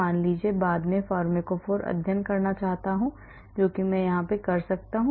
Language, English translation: Hindi, suppose later on I want to do pharmacophore studies I can do that